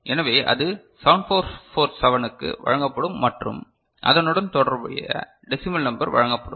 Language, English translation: Tamil, So, that will be fed to the 7447 and the corresponding decimal number will be fed, is it fine